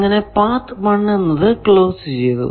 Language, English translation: Malayalam, Then, path 1 is closed